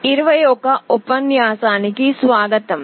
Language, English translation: Telugu, Welcome to lecture 21